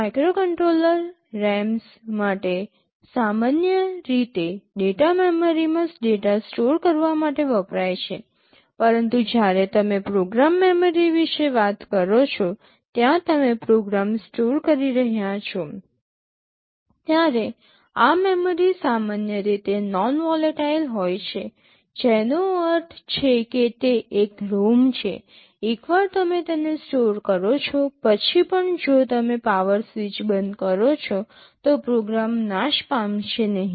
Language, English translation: Gujarati, For microcontroller RAMs are typically used to store data in the data memory, but when you talking about program memory the place where you are storing a program, this memory is typically non volatile; which means because it is a ROM, once you store it even if you switch off the power the program will not get destroyed